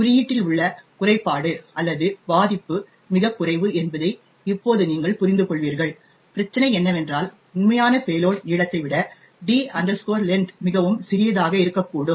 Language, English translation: Tamil, As, you would understand by now the flaw or the vulnerability in the code was very minor, all that was the problem was that there was that the D length could be much smaller than the actual payload length